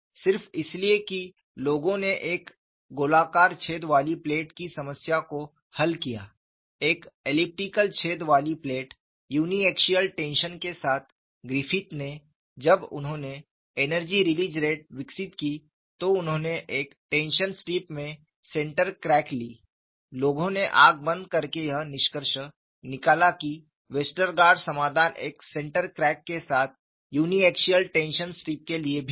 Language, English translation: Hindi, jJust because people solved the problem of a plate with a circular hole, plate with an elliptical hole, with a uniaxial tension, then Griffith, when he developed the energy release rate, he took a central crack in a tension strip; people extrapolated blindly that Westergaard solution is also meant for a uni axial tension strip with a central crack; it is not so